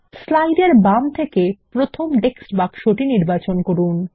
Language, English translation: Bengali, Select the first text box to the left in the slide